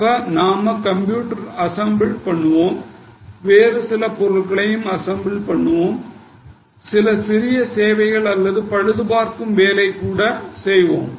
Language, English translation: Tamil, So, we assemble PCs, we assemble certain other things, we also do some small service or repair work